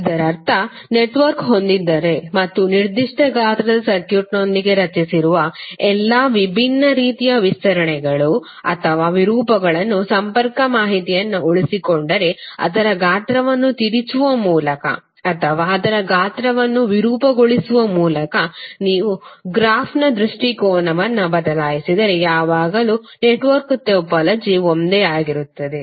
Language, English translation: Kannada, That means that if you have the network and you change the orientation of the graph by stretching twisting or distorting its size if you keep the connectivity information intake all the different types of stretches or distort you have created with that particular circuit will always remain same because the topology of the network is same